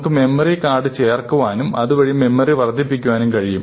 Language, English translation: Malayalam, We can add a memory card and increase the memory